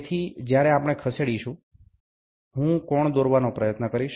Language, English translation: Gujarati, So, when we move, I will try to draw the angle